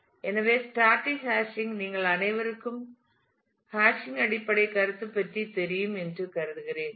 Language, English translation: Tamil, So, static hashing I am assuming that all of you know about basic concept of hashing